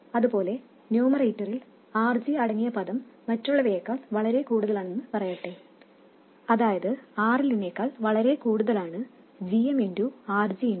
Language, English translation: Malayalam, And similarly in the numerator, let's say that the term containing RG is much more than the others, that is J M, RG RL is much more than RL